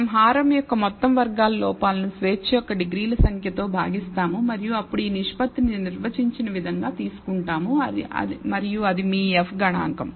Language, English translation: Telugu, So, we divide the sum squared errors for the denominator by the number of degrees of freedom and then take this ratio as defined and that is your F statistic